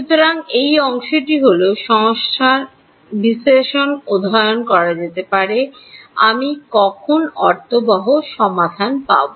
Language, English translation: Bengali, So, this is the part may be study the numerical analysis of when will I get a meaningful solution